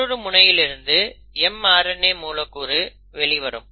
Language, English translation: Tamil, So now you have the mRNA molecule which is ready